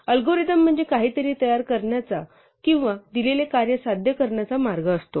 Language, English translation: Marathi, So, in the same way an algorithm is a way to prepare something or to achieve a given task